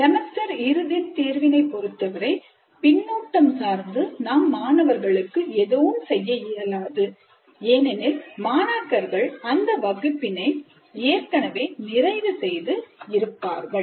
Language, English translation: Tamil, And with respect to semistudent examination, of course, there is not much we can do in terms of providing feedback to the students because already the students have completed this class